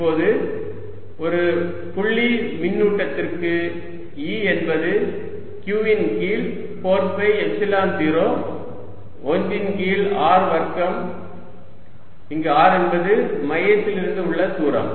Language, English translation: Tamil, now i know for a point: charge e is q over four pi epsilon zero one over r square, where r is a distance from the center